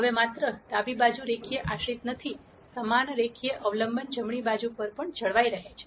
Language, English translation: Gujarati, Now not only is the left hand side linearly dependent, the same linear dependence is also maintained on the right hand side